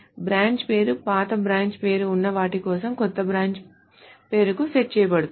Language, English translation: Telugu, The branch name is set to the new branch name for those things where it was the old branch name